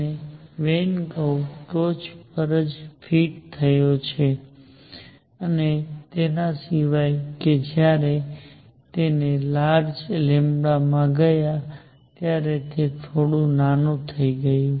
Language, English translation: Gujarati, And the Wien curve fitted right on top right on top except when you went to larger lambda it became slightly small